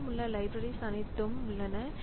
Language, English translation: Tamil, So all that the libraries that we have